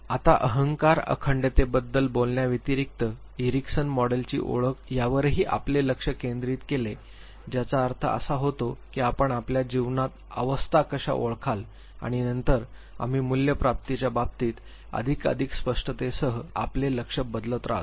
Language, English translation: Marathi, Now, besides talking about ego integrity the focus that Erickson also led was on identification with the model means how we identify models in our life and then we keep shifting our goals with attainment of more and more clarity in terms of values